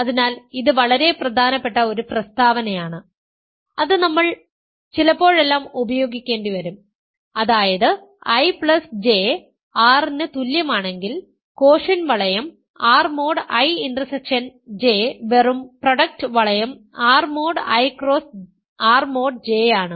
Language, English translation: Malayalam, So, this is a very important statement that we will sometimes use if I plus J is equal to R, the quotient ring R mod I intersection J is just the product ring R mod I cross R mod J